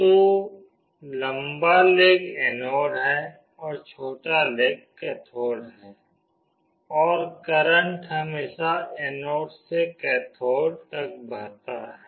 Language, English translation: Hindi, So, the long leg is anode and the short leg is cathode, and current always flows from anode to cathode